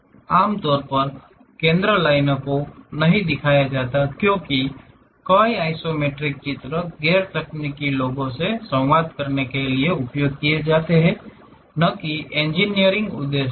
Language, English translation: Hindi, Normally, center lines are not shown; because many isometric drawings are used to communicate to non technical people and not for engineering purposes